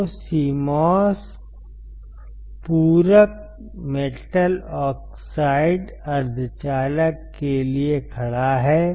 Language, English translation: Hindi, So, CMOS stands for complementary metal oxide semiconductor